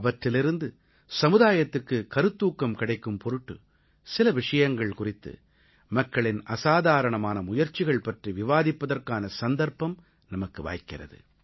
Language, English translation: Tamil, And through the endeavour, we get a chance to discuss some extraordinary feats by people, which serve as a beacon of inspiration to society